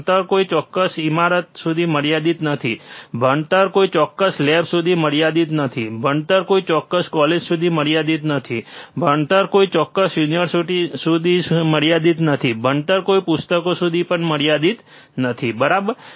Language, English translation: Gujarati, Learning is not restricted to a particular building, learning is not restricted to a particular lab, learning is not restricted to a particular college, learning is not restricted to particular university, learning is not restricted to any books also, right